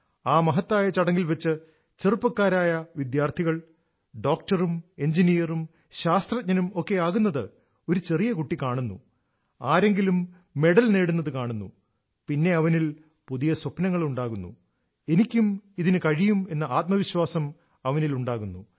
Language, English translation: Malayalam, When a small child in the grand function watches a young person becoming a Doctor, Engineer, Scientist, sees someone receiving a medal, new dreams awaken in the child 'I too can do it', this self confidence arises